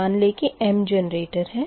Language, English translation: Hindi, so suppose you have m number of generators